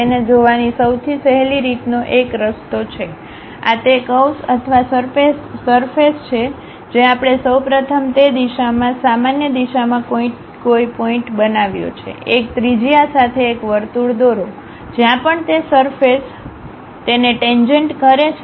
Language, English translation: Gujarati, One way of easiest way of looking at that is, this is the curve or surface what we have first construct a point in that normal to that direction, draw a circle with one particular radius, wherever that surface is a tangential point pick it